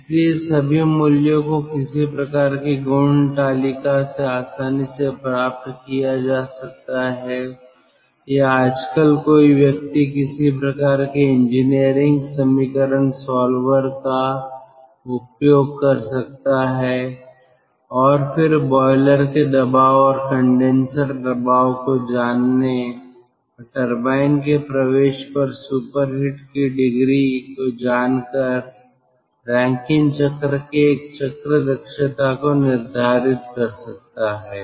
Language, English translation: Hindi, so all the values can be readily readily obtained from ah some sort of a property table, or nowadays one can use some sort of ah engineering equation, solver, ah, and then, knowing the boiler pressure and condenser pressure and knowing the ah degree of superheat at the entry of the turbine, one can determine the efficiency of the cycle, of the rankine cycle